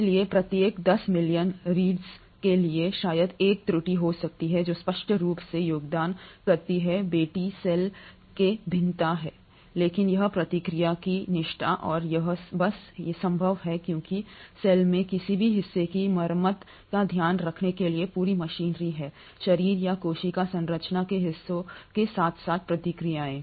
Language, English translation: Hindi, So for every 10 million reads, probably a 1 error may happen which obviously contributes to the variation in the daughter cell, but this is the fidelity of the process and this is simply possible because the cell has complete machinery to take care of even the repair of any parts of the body or the parts of the cell structure as well as the processes